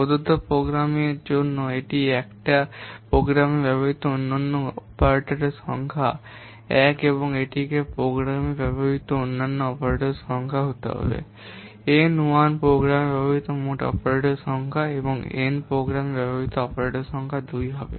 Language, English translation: Bengali, For a given program, let ita 1 be the number of unique operators which are used in the program, eta 2 with the number of unique operands which are used in the program, N1 be the total number of operators used in the program, and n2 be the total number of operants used in the program